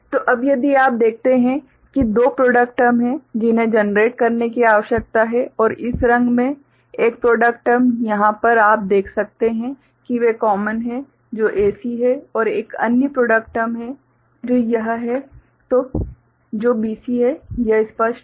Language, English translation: Hindi, So, now if you see there are two product terms that need to be generated and one product term in this color over here you see they are common which is AC and another product term is there which is this one which is BC; is it clear